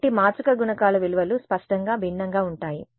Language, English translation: Telugu, So, the values of the matrix coefficients will; obviously, be different